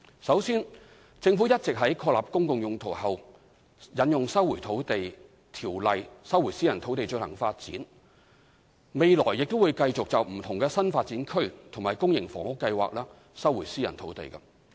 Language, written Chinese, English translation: Cantonese, 首先，政府一直有在確立"公共用途"後引用《收回土地條例》收回私人土地進行發展，未來亦會繼續就不同的新發展區及公營房屋計劃收回私人土地。, Firstly the Government has been invoking LRO to resume private land for development after establishing a public purpose . In future resumption of private land will continue to take place as well for different new development areas NDAs and public housing projects